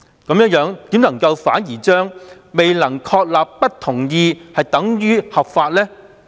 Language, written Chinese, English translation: Cantonese, 為何律政司反而將未能確立不同意等於合法呢？, Why did DoJ instead consider his act to be lawful just because it failed to prove its disagreement?